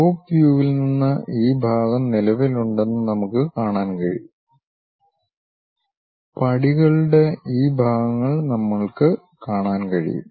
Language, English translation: Malayalam, From top view we can see that, this part is present so this one, these are the parts of the steps which we can see it part of the steps